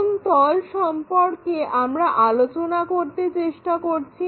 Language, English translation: Bengali, Which plane we are trying to talk about